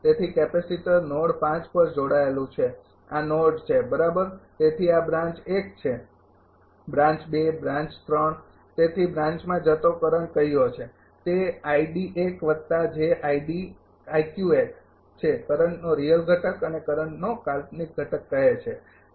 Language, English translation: Gujarati, So, capacitor is connected at node 5 this is the node right so, this is branch 1 branch 2 branch 3 so, current to the branch say it is i d 1 plus j i q 1 say real component of the current and imaginary component of current